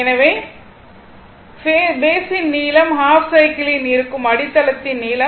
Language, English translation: Tamil, So, length of the base that is over a half cycle